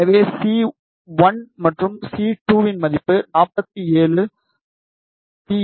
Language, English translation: Tamil, So, the C value of C 1 and C 2 is 47 Pico farad